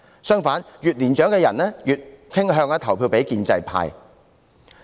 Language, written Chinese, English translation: Cantonese, 相反，越年長的人卻越傾向投票給建制派。, In contrast older people are more inclined to vote for the pro - establishment camp